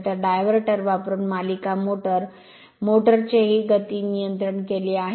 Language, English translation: Marathi, So, this speed control of a series motor, motor using diverter